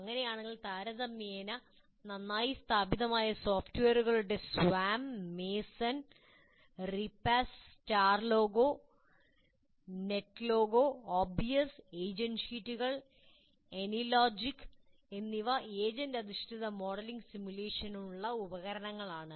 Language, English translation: Malayalam, In that case, this is fairly well established software like Swam, Massen, Repa, Star Logo, Net Logo, OBS, agent sheets, and any logic or tools for agent based modeling and simulation